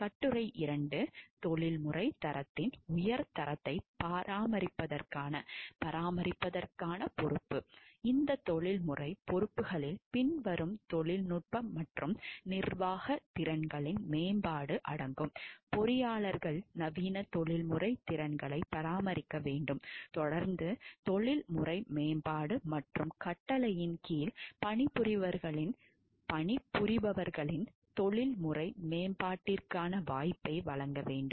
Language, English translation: Tamil, Article 2; responsibility to maintain high standards of professional quality, these professional responsibilities include the following: development of technical and managerial skills, engineers shall maintain state of the art professional skills continued professional development and provide opportunity for the professional development of those working under the command